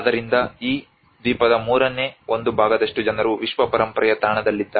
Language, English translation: Kannada, So almost one third of this island is under the world heritage site